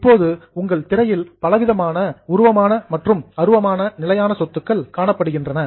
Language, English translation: Tamil, But right now on your screen, you have got variety of both tangible and intangible fixed assets